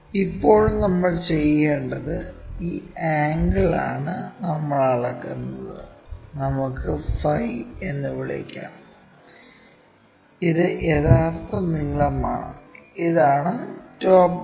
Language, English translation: Malayalam, Now, what we have to do is this angle we will measure, let us call phi, and this is true length, and this one is top view